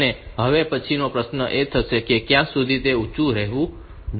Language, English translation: Gujarati, And next question is how long should it remain high